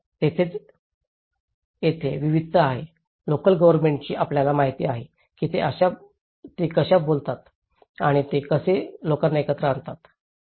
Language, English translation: Marathi, So, that is where, here there is diversities, local governments role you know, how they negotiate and how they bring the people together